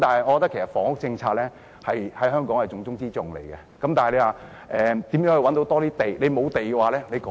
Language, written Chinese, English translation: Cantonese, 我認為房屋政策在香港是重中之重，但如何能覓得更多土地呢？, In my opinion housing policy is the most significant policy in Hong Kong . But how can we find more land?